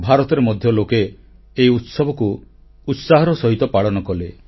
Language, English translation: Odia, People in India too celebrated Christmas with warmth and cheer